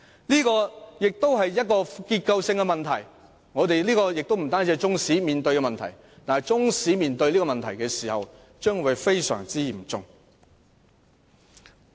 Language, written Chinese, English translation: Cantonese, 這也是結構性問題，雖然這不是只有中史科面對的問題，但中史科的情況尤其嚴重。, This is also a structural problem . While this problem is not only restricted to Chinese History the situation is particularly serious in Chinese History